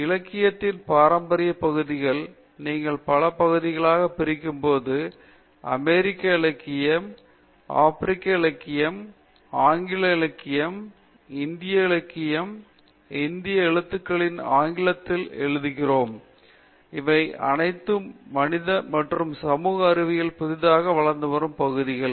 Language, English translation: Tamil, In the traditional area of literature when you divide it into several parts, we cover American literature, African literature, English literature, Indian literature, Indian writing in English and all of these are new emerging areas that have covered in humanities and social sciences